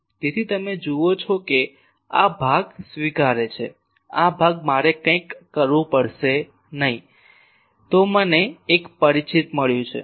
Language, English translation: Gujarati, So, you see that accept these portion; this portion I will have to do something otherwise I have got a familiar one